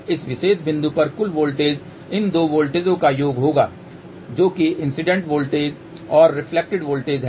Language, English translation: Hindi, And so what will be the total voltage total voltage at this particular point will be summation of these two voltages which is incident voltage and reflected voltage